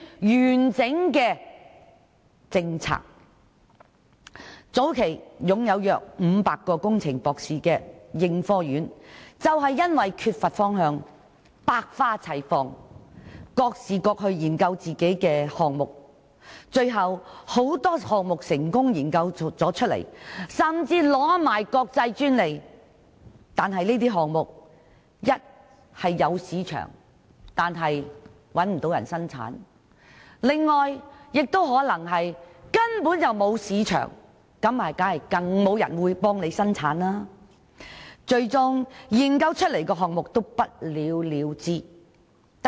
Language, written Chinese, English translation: Cantonese, 應科院早期擁有約500名工程博士，他們缺乏共同方向，以致百花齊放，各自研究不同的項目，雖然有很多項目研發成功，甚至取得國際專利，但儘管這些項目有市場，卻找不到人生產，亦有其他項目沒有市場，更是無人問津，最終很多研發出的項目都不了了之。, ASTRI had about 500 doctors in engineering at its early days . However without a common direction they each went their own way for different research projects . Although many items had been successfully developed and some had even acquired international patents and with market potential no producers could be found; there were also some other items with no marketability that no one showed any interest